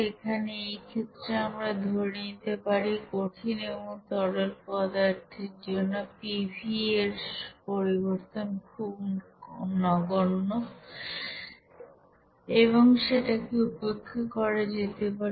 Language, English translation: Bengali, Here in this case, we can assume that for solids and liquids here delta pV change is negligible and can be ignored there